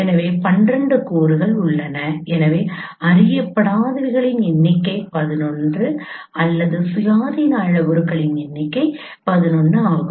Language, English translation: Tamil, So there are 12 elements and so number of unknowns are 11 or number of independent parameter is 11